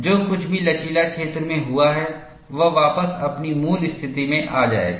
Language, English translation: Hindi, Whatever that has happened to the elastic region, it will spring back to its original position